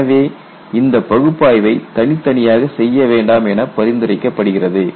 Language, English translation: Tamil, So, the recommendation is do not do these analysis separately